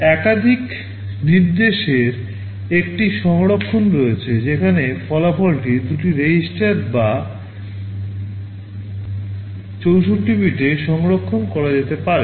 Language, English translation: Bengali, There is a version of multiply instruction where the result can be stored in two registers or 64 bits